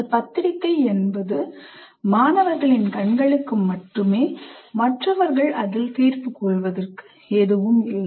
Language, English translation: Tamil, It is only for the eyes of the student rather than for anyone to make judgment on that